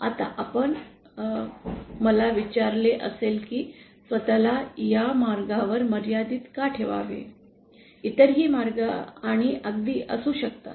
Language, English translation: Marathi, Now you might have asked me why restrict ourselves to this path, there can be other paths also and absolutely